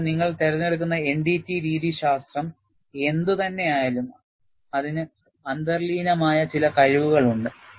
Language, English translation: Malayalam, So, whatever the NDT methodology that you select, it has certain inherent capabilities